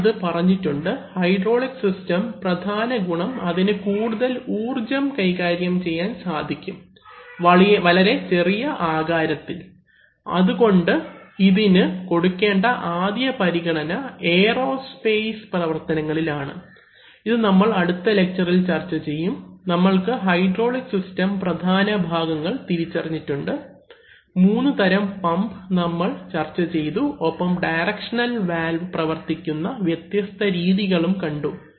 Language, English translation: Malayalam, So you may ponder, what are the main advantages of hydraulics over electric systems, there are some advantages I have already told, the major advantage of hydraulic systems is that they can handle much more power at using much more low sizes, therefore prime importance and there are used in aerospace, we will discuss this in the next lesson, we have identify, you can identify the major components of hydraulic system, if you want to build one and three major types of pumps we have discussed it and what are the different ways in which directional valves may be operated